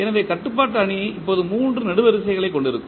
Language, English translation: Tamil, So, the controllability matrix will now have 3 columns